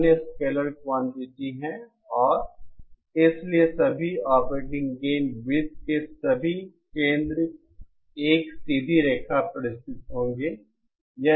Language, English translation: Hindi, Others are scalar quantities and therefore all the centres of all the operating gain circles will lie on a straight line